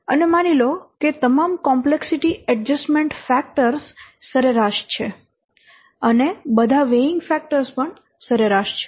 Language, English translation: Gujarati, So, and assume that all the complexity adjustment values are average and all the weighting factors are average